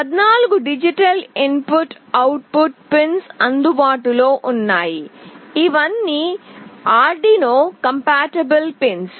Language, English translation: Telugu, 14 digital input output pins are available, which are all Arduino compatible pins